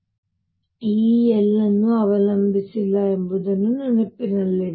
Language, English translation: Kannada, Keep in mind that E does not depend on l